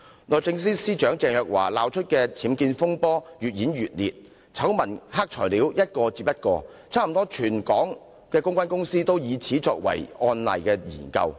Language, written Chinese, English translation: Cantonese, 律政司司長鄭若驊鬧出的僭建風波越演越烈，醜聞、黑材料接連出現，差不多全港的公關公司皆以此作為案例研究。, As Ms CHENGs UBWs fiasco is getting worse with the exposure of more scandals and black materials almost all local PR firms have used it as a case study